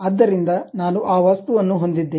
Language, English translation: Kannada, So, I have that object